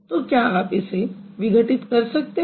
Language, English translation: Hindi, So, can you break it